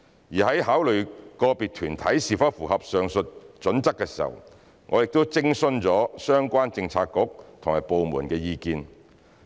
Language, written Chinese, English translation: Cantonese, 而在考慮個別團體是否符合上述準則時，我們亦已徵詢相關政策局和部門的意見。, When considering whether individual bodies meet the above criteria we have also consulted relevant Policy Bureaux and departments